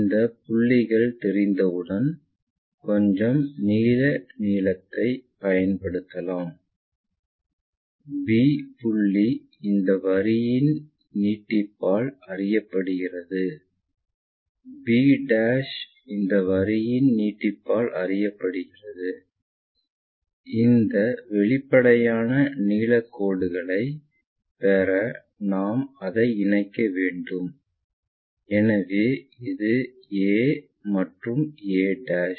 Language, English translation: Tamil, Once these points are known let us use some blue color, b point is known by extension of this line b' is known by extension of that line, we can connect it to get this apparent length lines, this is a this is a'